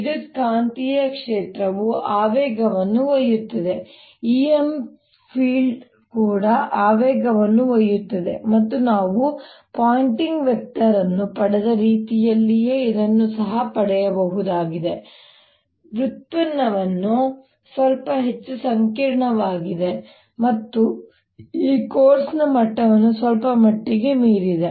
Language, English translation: Kannada, introduce now, electromagnetic field also carries momentum, e, m filed also carries momentum, and this can also be derived exactly in the same manner as we derived the pointing vector, except that the derivation is a little more complicated and slightly beyond the level of this course